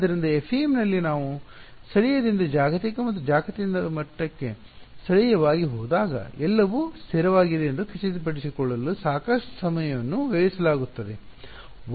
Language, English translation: Kannada, So, in FEM lot of time is spent on making sure that when I go from local to global and global to local everything is consistent ok